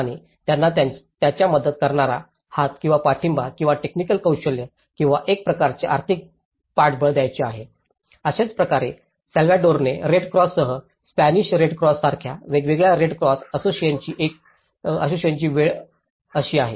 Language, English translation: Marathi, And they want to give their helping hand or the support or the technical expertise or a kind of financial supports so, that is how this is the time different red cross associations like one is a Spanish red cross along with the Salvadoran red cross